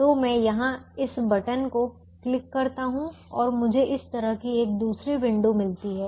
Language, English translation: Hindi, so i just click that add button here and i get a another window like this: so i go to the first constraint